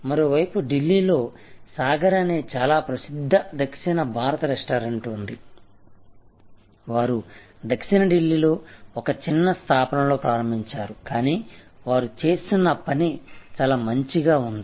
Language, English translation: Telugu, On the other hand there is Sagar, a very famous South Indian restaurant in Delhi, they started in a small establishment in South Delhi, but they become so good in what they were doing